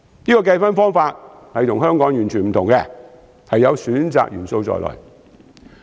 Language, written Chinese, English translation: Cantonese, 這個計分方法與香港完全不同，有選擇元素在內。, This scoring method is completely different from the practice of Hong Kong in that it contains elements that are selective in nature